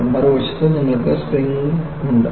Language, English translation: Malayalam, On the other hand, you have springs